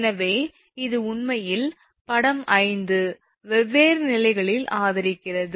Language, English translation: Tamil, So, this is actually figure 5 supports at different levels